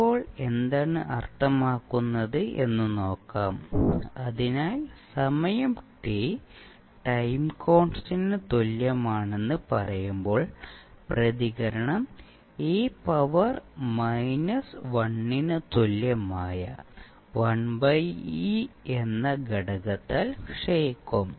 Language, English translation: Malayalam, Now, what does it mean let see, so when we say that the time t is equal to time constant tau the response will decay by a factor of 1 by e that is e to the power minus 1